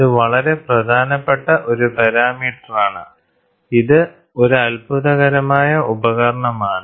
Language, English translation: Malayalam, This is very important parameter and this is a wonderful device, this is a wonder